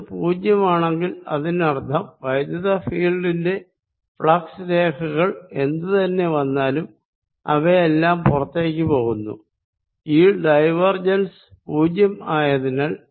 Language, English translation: Malayalam, if this is zero, that means whatever fluxes coming in, whatever electric filed lines a flux is coming in, say, flux is going out because this divergence is zero